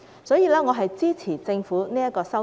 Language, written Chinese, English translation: Cantonese, 所以，我支持政府的修訂。, Therefore I support the Governments amendment